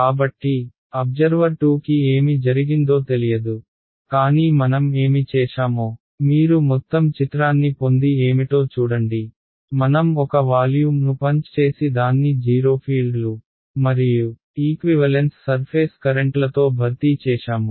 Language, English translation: Telugu, So, observer 2 did not know what happened, but just see what is if you get the overall picture what have I done, I have punched out one volume and replaced it by a 0 fields and set of equivalent surface currents